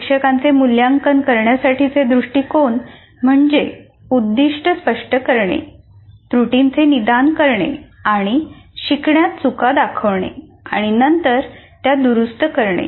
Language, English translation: Marathi, And the teacher's approach to assessment is to make goals clear to diagnose errors and omissions in learning and then correct these